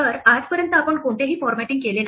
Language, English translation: Marathi, So, up to this point we have not done any formatting